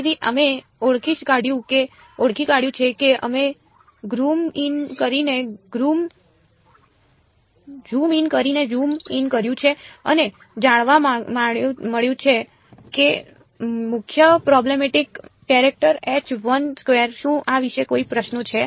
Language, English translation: Gujarati, So, we have identified we are zoomed in zoomed in and found out that the main problematic character is this H 1 2 any questions about this